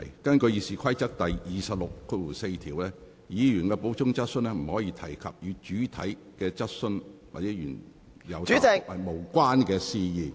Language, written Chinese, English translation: Cantonese, 根據《議事規則》第264條，議員的補充質詢不得提出與原有質詢或原有答覆無關的事宜。, According to Rule 264 of the Rules of Procedure RoP a Member shall not introduce matter which is not related to the original question or answer in his or her supplementary question